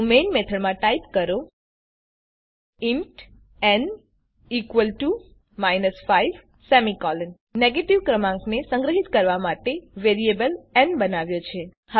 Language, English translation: Gujarati, So inside the main method type int n = minus 5 We have created a variable n to store the negative number